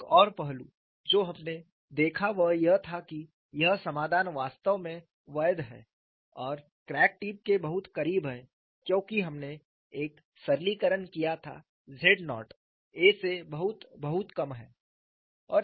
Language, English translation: Hindi, Another aspect what we looked at was, this solution is actually valid very close to the crack tip, because we have made a simplification z naught is much less than a and that is how you have got